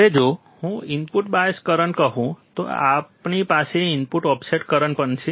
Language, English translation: Gujarati, Now, if I say input bias current, then we have input offset current as well